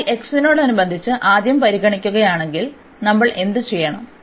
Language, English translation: Malayalam, So, if we take if we consider for example first with respect to x, so what we have to do